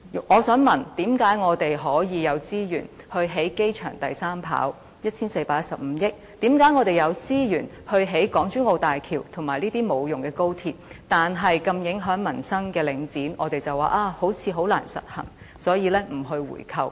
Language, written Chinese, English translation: Cantonese, 我想問，為何我們可以有資源以 1,415 億元興建機場第三跑道，為何我們有資源興建港珠澳大橋和無用的高鐵，但如此影響民生的領展，我們卻說似乎十分難以實行，所以不進行回購？, I would like to ask why we can have the resources to build the third runway of the airport at 141.5 billion and the Hong Kong - Zhuhai - Macao Bridge and the useless Express Rail Link but when it comes to Link REIT which is affecting the peoples livelihood so immensely we dismiss a buy - back because it seems to be a tall task